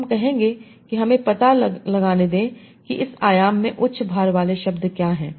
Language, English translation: Hindi, So I would say, OK, let me find out what are the words that are having a high weight in this dimension